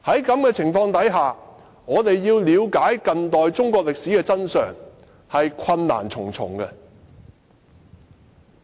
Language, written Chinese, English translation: Cantonese, 在此情況下，我們要了解近代中國歷史的真相，實在困難重重。, Under this circumstance it is very difficult for us to find out the true picture of contemporary Chinese history